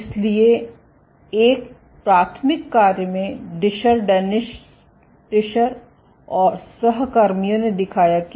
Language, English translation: Hindi, So, in a seminal work Discher, Dennis Discher and colleagues showed that ok